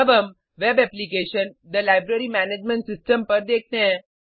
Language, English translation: Hindi, Now let us look at the web application – the Library Management System